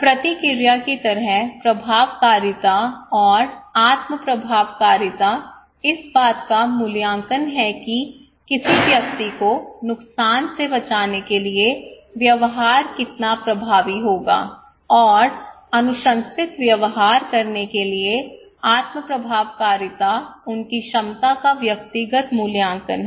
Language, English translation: Hindi, Similarly, response efficacy and self efficacy like response is the evaluation of how effective the behaviour will be in protecting the individual from harm and the self efficacy is the individual evaluation of their capacity to perform the recommended behaviour